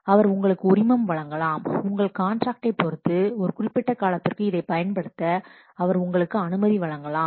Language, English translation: Tamil, He may give you license, he may give you permission to use this for a particular period of time depending on your contract